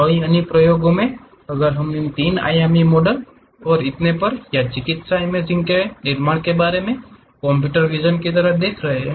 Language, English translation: Hindi, In many applications if we are looking at like computer visions like about constructing these 3 dimensional models and so on, or medical imaging